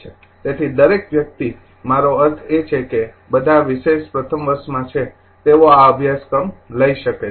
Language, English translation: Gujarati, So, everybody I mean all the specializing in first year they can they can take this course right and